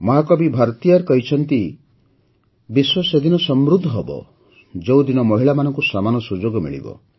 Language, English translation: Odia, Mahakavi Bharatiyar ji has said that the world will prosper only when women get equal opportunities